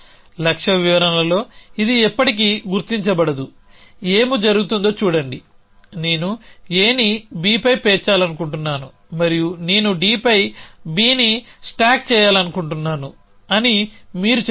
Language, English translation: Telugu, So it will never figure in the goal description see what will happen is that you will say I want to stack A on B and I want to stack B on D